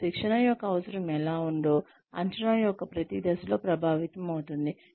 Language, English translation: Telugu, And, how the training need is, sort of being affected, at every stage of assessment